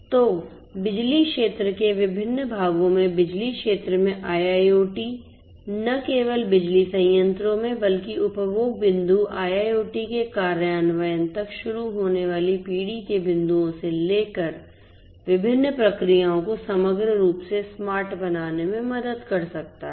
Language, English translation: Hindi, So, IIoT in the electricity sector in different parts of the electricity sector not only in the power plants, but also in the different parts starting from the generation point till the consumption point IIoT implementation can help in making the processes the systems overall smart